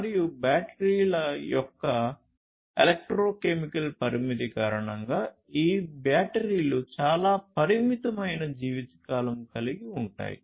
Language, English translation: Telugu, And due to the electrochemical limitation of the batteries; so, what happens is these batteries will have a very limited lifetime